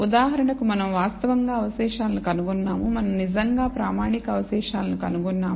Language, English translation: Telugu, We have actually found the residual for example, we have actually found the standardized residuals